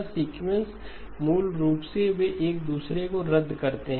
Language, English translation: Hindi, This sequence operation basically they cancel each other